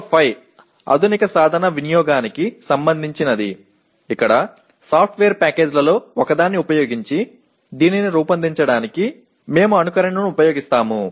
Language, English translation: Telugu, PO5 is related to modern tool usage where we use possibly simulation for designing this using one of the software packages for that